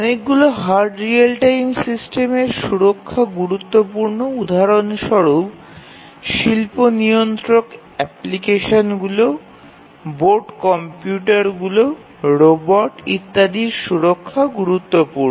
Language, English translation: Bengali, And many hard real time systems are safety critical for example, the industrial control applications, on board computers, robots etcetera